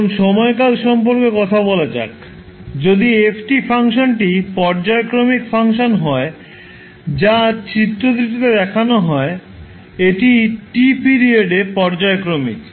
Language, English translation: Bengali, Now let’s talk about the time periodicity, if the function f t is a periodic function which is shown in the figure it’ is periodic with period t